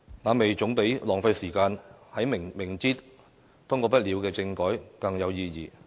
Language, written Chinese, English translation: Cantonese, 那麼，總比浪費時間在明知通過不了的政改更有意義。, It is more significant than wasting our time in some constitutional reform packages that are knowingly impassable